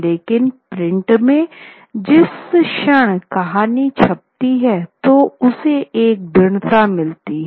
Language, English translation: Hindi, But in print, the moment this thing comes, when the story comes into print, it gets a solidity